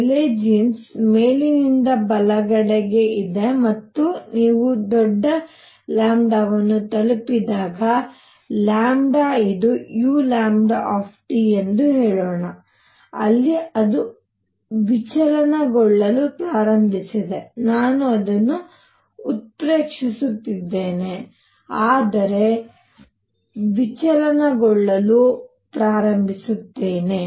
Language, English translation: Kannada, Rayleigh Jeans is right on top right on top and when you reach large lambda, so this is lambda this is let us say u lambda T, where you got and then it is start deviating I am exaggerating it, but starts deviating